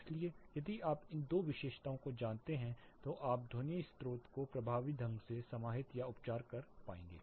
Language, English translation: Hindi, So, if you know these two characteristics then you will be able to effectively contain or treat the sound source